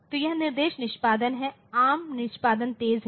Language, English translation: Hindi, So, this is the instruction execution, ARM execution is faster